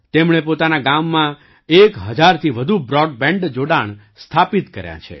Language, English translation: Gujarati, He has established more than one thousand broadband connections in his village